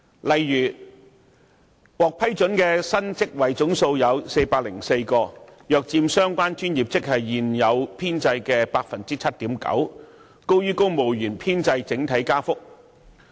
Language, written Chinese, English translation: Cantonese, 例如，獲批准的新職位總數有404個，約佔相關專業職系現有編制 7.9%， 增幅高於公務員編制整體增長。, For instance a total of 404 newly created posts have been approved making up 7.9 % of the existing establishment in the professional grades concerned . The increase is higher than that of the overall civil service establishment